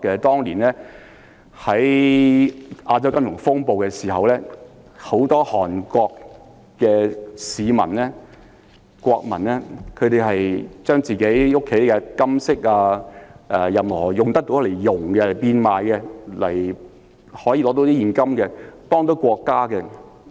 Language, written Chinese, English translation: Cantonese, 當年在亞洲金融風暴時，很多韓國國民將自己家中的金飾或任何可以溶掉的物品變賣，為了換取現金來幫助國家。, When the Asian financial crisis broke out many Korean nationals melted down their gold treasures or any other items at home which could be melted down for sale and donated the cash to help their country